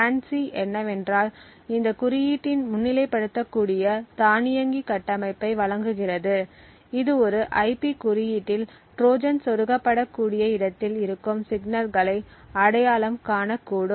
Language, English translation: Tamil, What FANCI does is that it provides an automated framework which could highlight regions of this code, it could identify signals present within an IP code which could potentially be areas where a Trojan may be inserted